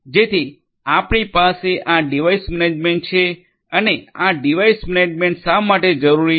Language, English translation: Gujarati, So, we have this device management and why this device management is required